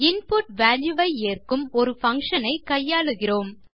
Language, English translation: Tamil, We will deal with a function that allows you to input a value